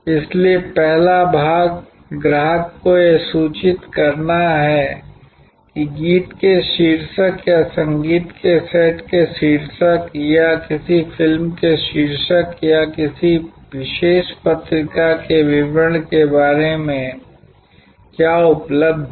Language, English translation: Hindi, So, one is the first part is to inform the customer that what is available like the title of a song or the title of a set of music or the title of a movie or the details about a particular journal